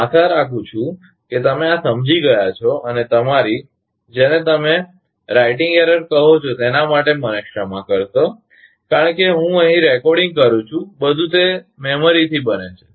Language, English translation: Gujarati, I hope you understood this and forgive me for making to your, what you call writing error; because I am recording here and everything making it from memory